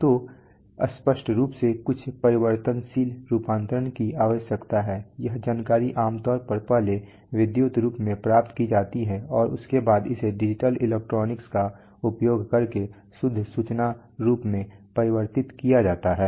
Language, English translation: Hindi, So obviously there is some variable conversion required, this information is generally first obtained in electrical form and after that it is converted into pure information form using, you know digital electronics